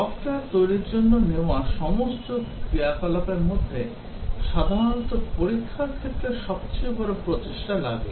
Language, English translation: Bengali, Among the all the activities that are taken up for developing software, testing actually typically takes the largest effort